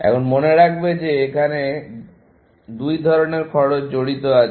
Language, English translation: Bengali, Now, keep in mind that they are two kinds of cost that are going to be involved